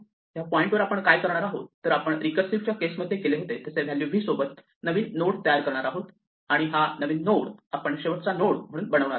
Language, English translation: Marathi, At this point we do exactly what we did in the recursive case we create a new node with a value v and we make this last node point to this new node